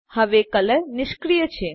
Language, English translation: Gujarati, Color is now disabled